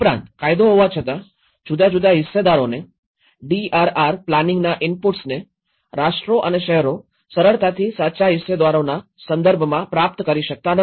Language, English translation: Gujarati, Also, the despite legislation enabling multiple stakeholders, inputs into planning of DRR, nations and cities do not easily achieve a true multi stakeholder perspective